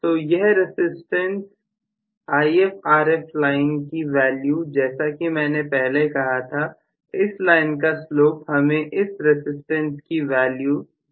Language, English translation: Hindi, So, this particular resistance value this is IfRf line I told you, so the slope of this line basically is going to give me whatever is the resistance value